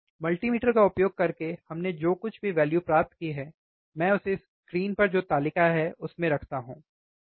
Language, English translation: Hindi, Whatever we have obtained using the multimeter, if I put the same value, in the table which is on the screen, right